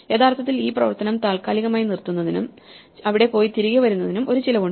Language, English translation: Malayalam, There is actually a cost involved with suspending this operation, going there and coming back